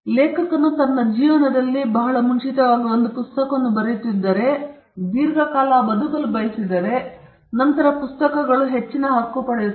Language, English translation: Kannada, If the author writes a book very early in his life, and if he gets to live long, then the books get a longer right